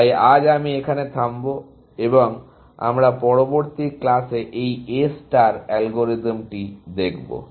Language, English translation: Bengali, So, I will stop here and we will take this A star algorithm, up in the next class